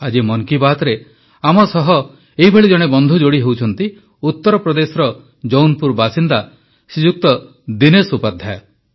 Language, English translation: Odia, Joining us in Mann Ki Baat today is one such friend Shriman Dinesh Upadhyay ji, resident of Jaunpur, U